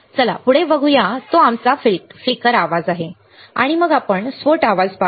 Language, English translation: Marathi, Let us see next one which is our flicker noise and then we will see burst noise